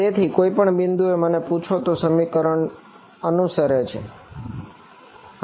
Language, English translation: Gujarati, So, at any point if you ask me this expression is obeyed ok